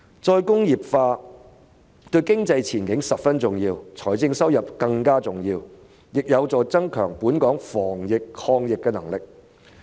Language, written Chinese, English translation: Cantonese, 再工業化對經濟前景十分重要，對財政收入更為重要，亦有助加強本港防疫抗疫的能力。, Re - industrialization is very important to our economic prospects and even more important to our fiscal revenue . It is also conducive to enhancing the anti - epidemic capability of Hong Kong